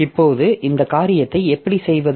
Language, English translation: Tamil, Now how do we do this thing